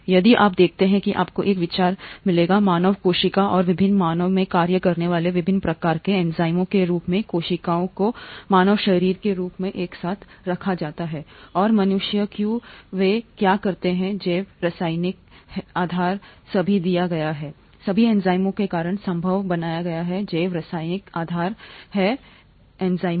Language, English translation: Hindi, If you watch that you will get an idea as to the variety of functions that enzymes perform in the human cell and different human cells put together as the human body, and the, why humans do what they do, the biochemical basis is all given, is all made possible because of the enzymes, biochemical basis is the enzymes